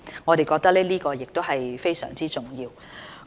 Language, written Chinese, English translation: Cantonese, 我們認為這是非常重要。, This is very important in our view